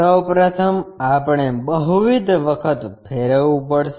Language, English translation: Gujarati, First of all, we may have to do multiple rotations